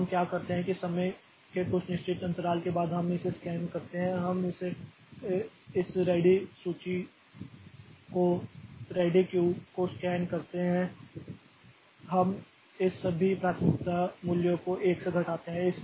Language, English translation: Hindi, Now, what we do is that after some time, so, at some fixed intervals of time we scan this, we scan this ready list, ready queue and we decrement all this priority values by 1